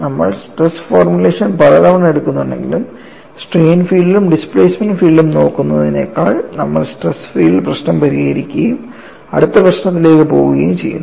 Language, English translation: Malayalam, Though we take stress formulation many times, we find we just solve the stress field problem and go to the next problem, rather than looking at the strain field and the displacement field